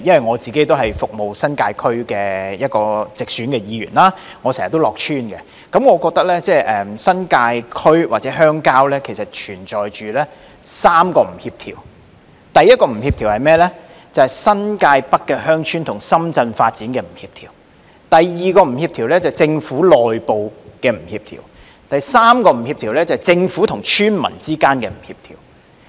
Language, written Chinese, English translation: Cantonese, 我是服務新界區的直選議員，我經常到村內服務，我覺得新界區或鄉郊存在3個不協調：第一，新界北鄉村與深圳發展不協調；第二，政府內部不協調；及第三，政府和村民之間不協調。, I often work in villages . In my opinion there are three incongruities in the New Territories or in the rural area . First it is the incongruity between the development of the New Territories North villages and that of Shenzhen; second the incongruity within the Government; and third the incongruity between the Government and the villagers